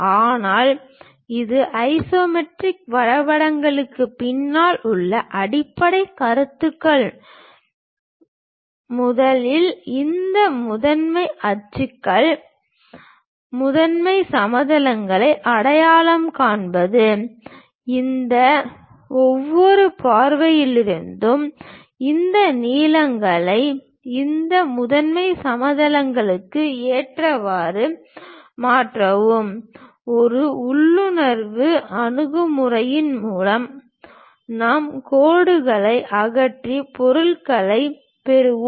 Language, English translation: Tamil, But the basic concepts behind these isometric drawings are first of all identifying these principal axis, principal planes, suitably transferring these lengths from each of these views onto these principal planes, through intuitive approach we will join remove the lines and get the object